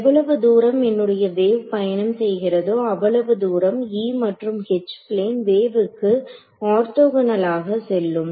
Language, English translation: Tamil, So, as long as so, the wave is travelling over here my E and H are going to be in orthogonal directions for a plane wave right